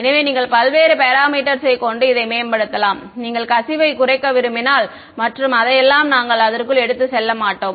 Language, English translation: Tamil, So, then you can optimize various parameters if you want to minimize the leakage and all of that we would not go into that